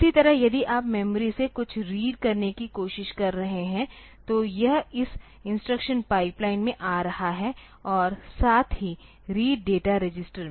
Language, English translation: Hindi, Similarly, if you are trying to read something from the memory then this is coming to this instruction pipeline as well as read data register